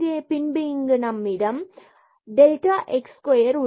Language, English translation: Tamil, So, here also we can take common delta x cube